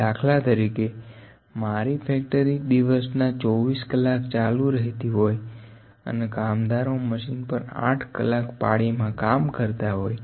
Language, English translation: Gujarati, For instance, if my factory is running for the whole day around for 24 hours and the workers were working on one machine and 8 hour shift is there